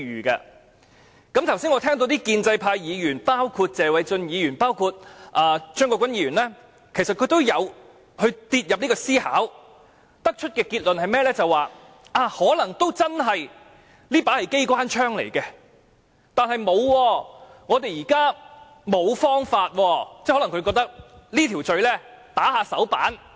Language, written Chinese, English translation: Cantonese, 我剛才聽到謝偉俊議員及張國鈞議員等建制派議員其實也有以這方式思考，得出的結論是，可能這真是一把機關槍，但我們現在實在沒有其他方法。, As I heard just now Members of the pro - establishment camp like Mr Paul TSE and Mr CHEUNG Kwok - kwan actually also think in this way . The conclusion drawn by them is that this may indeed be a machine gun but we really have no other options now